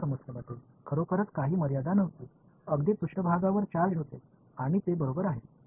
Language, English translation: Marathi, In the other problem there was no boundary really right the charges are there over surface and that is it right